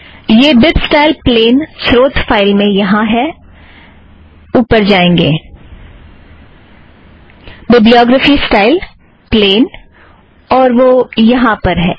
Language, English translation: Hindi, Also this bibstyle plain, also comes in the source file here, you go up, bibliography style – plain, that plain appears here